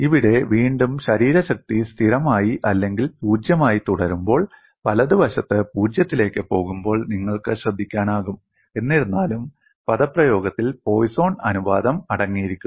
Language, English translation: Malayalam, Here again, you can notice when the body force remain constant or 0, the right hand side goes to 0, nevertheless the expression contains the Poisson ratio; it appears as 1 by 1 plus nu